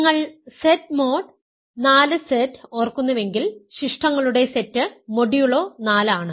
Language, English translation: Malayalam, So, if you Z mod 4 Z remember is the set of residues modulo 4